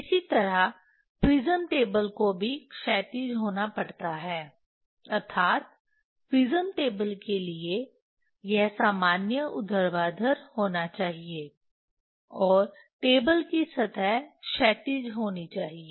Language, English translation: Hindi, Similarly prism table also has to be horizontal that means this normal to the prism table has to be vertical, and surface of the table has to be horizontal